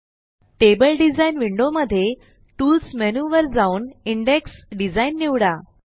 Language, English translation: Marathi, In the table design window, let us go to the Tools menu and choose Index Design